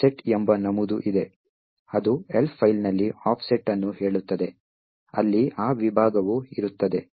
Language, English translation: Kannada, There is an entry called the offset which tells you the offset in the Elf file, where that segment is present